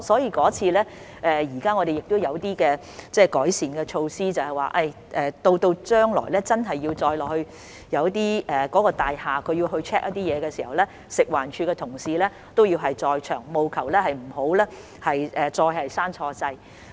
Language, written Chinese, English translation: Cantonese, 在那次故障後，我們已採取一些改善措施，若大廈人員將來要到其控制室 check 的時候，食環署的同事亦會在場，務求不會再錯誤關掉開關。, After that breakdown we had taken some improvement measures so that if the staff of the building had to go to its control room for a check in the future colleagues from FEHD would also be present so as to ensure that the switch would not be turned off again erroneously